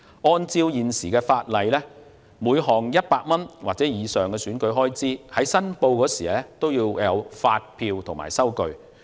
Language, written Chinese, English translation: Cantonese, 按照現行法例，每項100元或以上的選舉開支，在申報時須附上發票及收據。, Under the existing legislation each item of expenditure of 100 must be supported by invoices and receipts